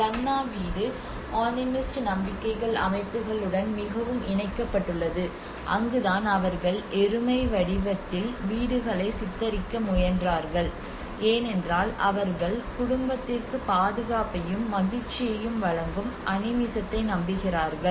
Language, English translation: Tamil, And the Lanna house is very much linked to the animist approach you know the animist beliefs systems that is where they tried to portray that in the shape of a buffalo because they believe in animism which is providing the protection and happiness to the family